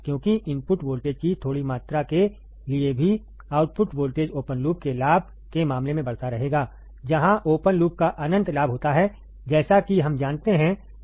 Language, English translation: Hindi, Because even for a small amount of input voltage, the output voltage will keep on increasing in the case of the open loop gain, where the open loop has infinite gain as we know